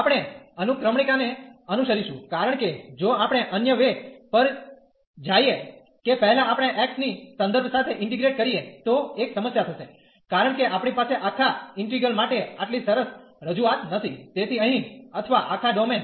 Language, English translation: Gujarati, So, for such domain naturally we will follow the sequencing because if we go the other way round that first we integrate with respect to x, then there will be a problem, because we do not have a such a nice representation of this whole integral so or whole domain here